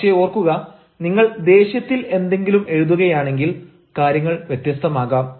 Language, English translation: Malayalam, but remember, if you write anything in anger, that is going to be different, you know